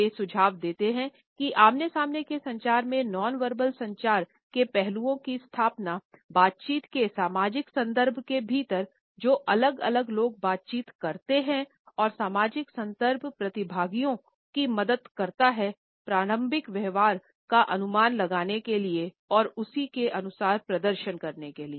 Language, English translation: Hindi, They suggest that in face to face communication, nonverbal aspects of communication establish is social context of interaction within which different people interact and the social context helps the participants to infer what should be the normative behaviour and perform accordingly